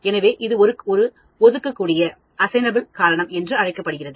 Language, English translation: Tamil, So, that is called Assignable Cause